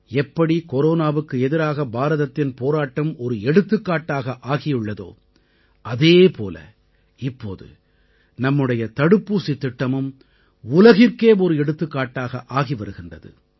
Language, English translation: Tamil, Just as India's fight against Corona became an example, our vaccination Programme too is turning out to be exemplary to the world